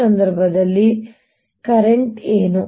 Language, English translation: Kannada, what is the current